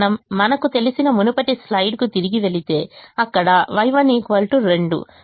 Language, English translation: Telugu, if you go back to the previous slide, we know that y one is equal to two